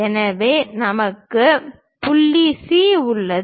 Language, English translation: Tamil, So, we have point C